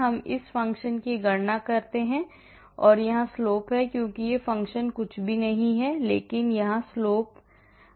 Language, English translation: Hindi, I calculate the function that is the slope here, because that this function is nothing but the slope here dy/dx